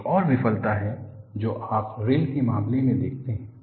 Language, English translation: Hindi, Another failure is, what you see in the case of rails